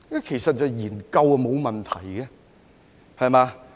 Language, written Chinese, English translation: Cantonese, 其實研究是沒有問題的，對嗎？, Actually there is nothing wrong with examining it isnt it?